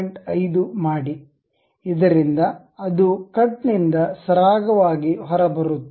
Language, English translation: Kannada, 5, so that it smoothly comes out as a cut